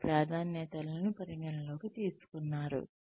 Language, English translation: Telugu, Their preferences have been taken into account